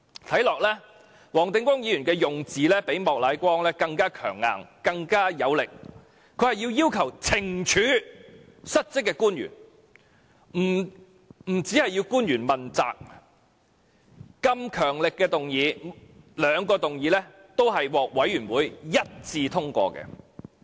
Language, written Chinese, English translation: Cantonese, "看起來，黃定光議員的用字較莫乃光議員更強硬和有力，他要求懲處失職的官員，不單要求官員問責，兩項如此強力的議案均獲事務委員會一致通過。, Mr WONG Ting - kwong uses even stronger and more forceful words in his motion than Mr Charles Peter MOK does . Mr WONG not only asks the Administration to hold the defaulting officials accountable to the incident but also penalize them . These two strong motions were unanimously endorsed by Panel members